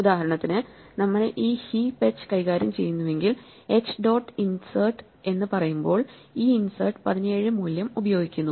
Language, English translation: Malayalam, For instance, if we are dealing with this heap h, when we say h dot insert then this insert is using the value 17